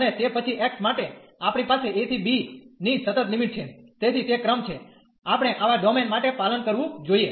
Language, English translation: Gujarati, And for then x we have the constant limits from a to b, so that is the sequence, we should follow for such domain